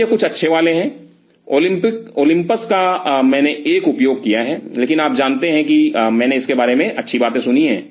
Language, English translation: Hindi, So, these are some of the good ones Olympus I have a used, but you know I have heard good things about it